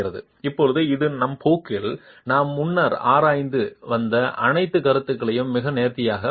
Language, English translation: Tamil, And now this very nicely captures all the concepts that we've been examining earlier in our course as well